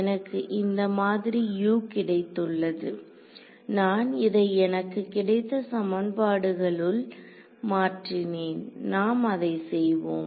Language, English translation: Tamil, Now that I have got this form of U, I substituted into this equation that I got alright